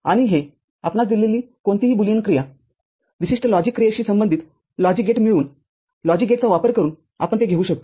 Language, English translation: Marathi, And this any Boolean function given to us, we can realize it using logic gates by getting those logic gates which corresponds to a specific logic operation